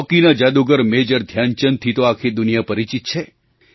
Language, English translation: Gujarati, Hockey maestro Major Dhyan Chand is a renowned name all over the world